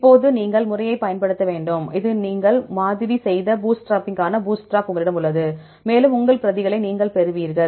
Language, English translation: Tamil, Now you have to use the method, now you have the bootstrap for the bootstrapping you did sampling and you get a lot of your replicates